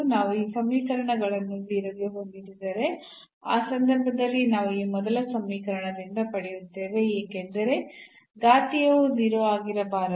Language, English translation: Kannada, So, if we set these equations to 0, in that case we will get from this first equation because exponential cannot be 0